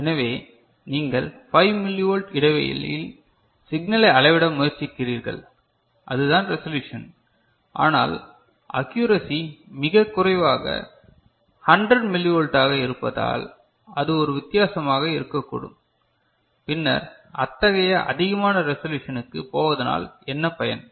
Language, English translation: Tamil, So, you are trying to measure signal at 5 millivolt interval, that is the resolution, but the accuracy is you know, so low that it is 100 millivolt that could be a difference, then what is the point, is not it, to go for such a high resolution